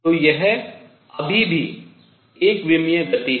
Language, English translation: Hindi, So, this is still one dimensional motion